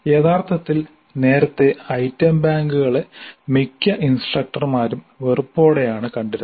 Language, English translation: Malayalam, Earlier actually item banks were viewed with disfavor by most of the instructors